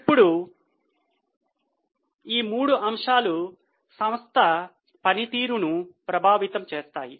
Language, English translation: Telugu, Now, all these three factors impact the performance of the company